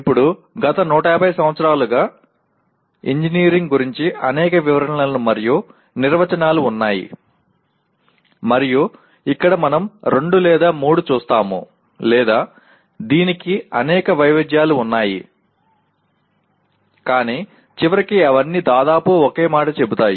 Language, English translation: Telugu, Now, there are several descriptions and definitions of engineering over the last maybe 150 years and here we look at two or three or there are several variants of this but in the end all of them they say approximately the same thing